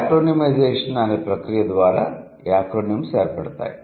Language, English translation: Telugu, Acronyms are formed by a process called a cronymization